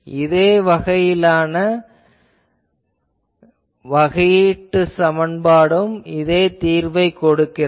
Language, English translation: Tamil, You see, differential equation of same type always gives same solution